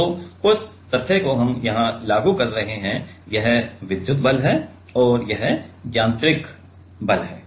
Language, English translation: Hindi, So, that fact we are applying here so, this is the electric force and this is the mechanical force